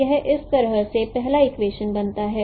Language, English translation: Hindi, So in this way the first equation is formed